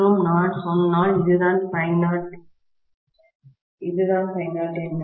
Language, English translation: Tamil, So, if I try to look at this, this is 0